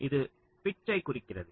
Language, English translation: Tamil, so this refers to the pitch